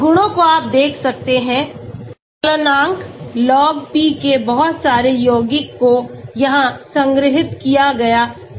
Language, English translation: Hindi, Properties you can see, melting point, Log P for lot of compounds has been stored here